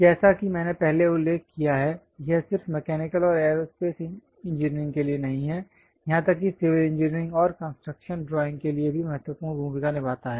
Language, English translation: Hindi, As I mentioned earlier it is not just for mechanical and aerospace engineering, even for a civil engineering and construction drawing plays an important role